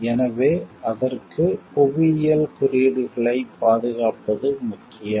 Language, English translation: Tamil, So, for that it is important to provide protect the geographical indications